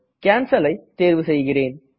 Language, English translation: Tamil, I will click on Cancel